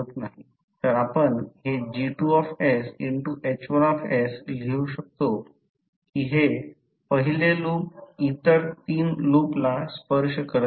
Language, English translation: Marathi, That the G2s into H1s that is the first loop is not touching other 3 loops